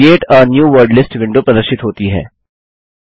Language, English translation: Hindi, The Create a New Wordlist window appears